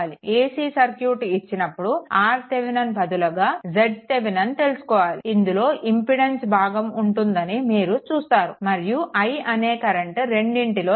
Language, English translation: Telugu, When ac circuit will come at that time instead of R Thevenin, it will be z Thevenin that there we will see the impedance part right